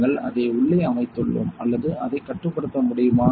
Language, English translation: Tamil, So, we have set it inside or it can why we can control it